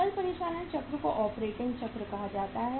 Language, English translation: Hindi, Gross operating cycle is called as operating cycle